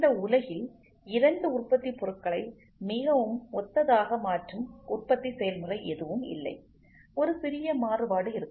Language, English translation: Tamil, So, there is no manufacturing process in this world, which can make two products very identical